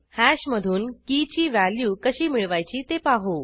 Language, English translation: Marathi, Let us see how to get the value of a key from hash